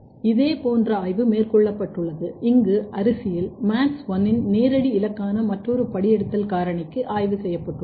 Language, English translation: Tamil, Similar kind of study has been done here, where a targets or direct targets of MADS1 another transcription factor in rice has been studied